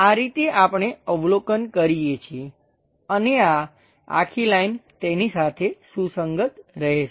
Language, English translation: Gujarati, This is the way we observe and this entire line, will coincide with it